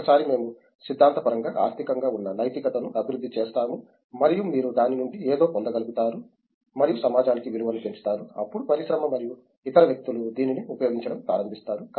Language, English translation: Telugu, And once we theoretically develop morals which are economical as well and so that you would get something out of it and add value to the society, then the industry and other people start using it